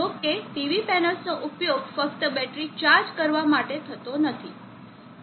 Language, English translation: Gujarati, However, the PV panels are not used generally to only charge the batteries